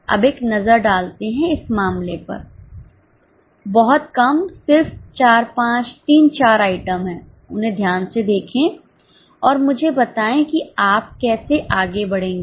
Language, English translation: Hindi, Now have a look at the case very small just four five, three four items, look at them carefully and tell me how will you proceed